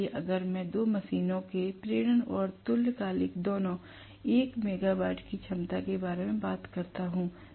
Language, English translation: Hindi, So, if I talk about two machines induction and synchronous both of 1 megawatt capacity